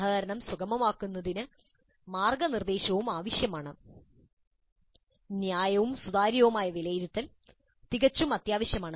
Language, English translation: Malayalam, Mentoring to facilitate collaboration also would be required and fair and transparent assessment is absolutely essential